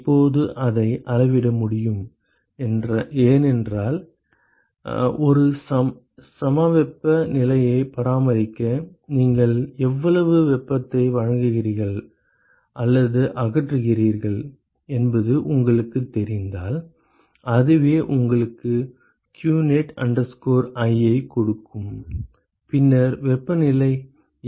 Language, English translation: Tamil, Now that is possible to measure because if you know how much heat you are supplying or removing in order to maintain an isothermal condition and that is what will give you what qnet i, then given that what is the temperature